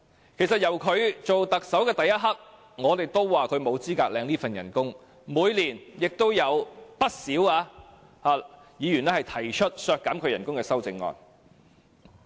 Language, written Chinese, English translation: Cantonese, 由他出任特首的那一刻，我們都說他沒有資格領取這份薪酬，每年亦有不少議員提出削減其薪酬的修正案。, From the moment he took office as Chief Executive we have been saying he is not qualified to receive such emoluments . Every year many Members proposed amendments to reduce his emoluments